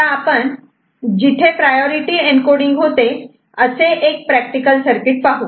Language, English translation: Marathi, Now, let us look at one you know, practical circuit where this priority encoding is happening